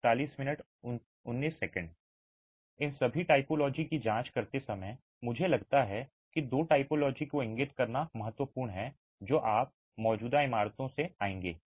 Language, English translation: Hindi, While examining all these typologies, I think it is important to point out two typologies that you will come across in existing buildings